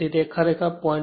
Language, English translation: Gujarati, This is actually 0